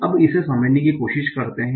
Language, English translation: Hindi, So let us try to do that